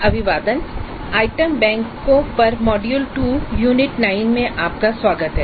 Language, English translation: Hindi, Greetings, welcome to module 2 Unit 9 which is on item banks